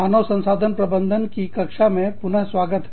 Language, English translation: Hindi, Welcome back, to the class on, Human Resource Management